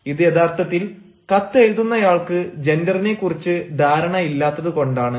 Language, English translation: Malayalam, it is actually because the writer of the letter does not know and is not clear about the gender